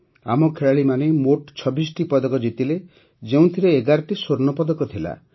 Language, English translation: Odia, Our players won 26 medals in all, out of which 11 were Gold Medals